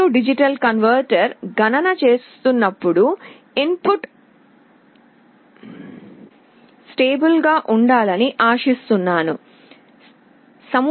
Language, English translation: Telugu, I expect that when A/D converter is doing the calculation the input should be held at a stable value